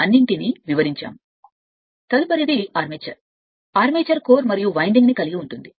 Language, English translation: Telugu, So, next is the armature, the armature consists of core and winding